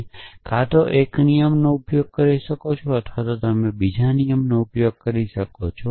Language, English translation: Gujarati, You could either use one rule or you could use another rule essentially